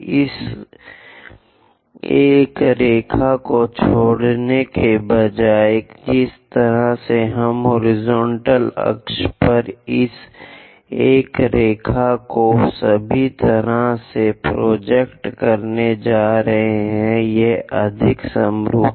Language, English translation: Hindi, Instead of drawing dropping this one line all the way down, we are going to project this all the way this one line onto horizontal axis; it is more like by symmetry